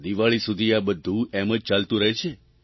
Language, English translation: Gujarati, And this will go on till Diwali